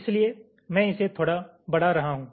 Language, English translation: Hindi, so i am extending this a little bit